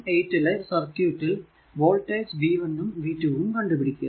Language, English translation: Malayalam, 18 , we have to find out voltages v 1 and v 2